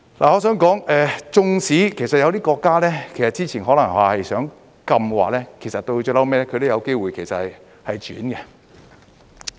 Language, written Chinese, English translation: Cantonese, 我想說，即使有一些國家之前可能是想禁的，其實到最後亦有機會轉變。, I would like to say that even if some countries may intend to ban HTPs previously there is actually a chance that they would change their mind in the end